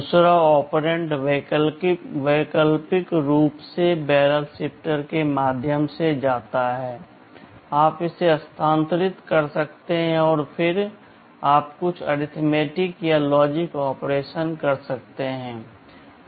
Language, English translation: Hindi, The second operand optionally goes through the barrel shifter, you can shift it and then you can do some arithmetic or logic operations